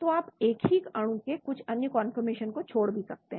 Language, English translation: Hindi, So you may miss out some other conformations of the same molecule like another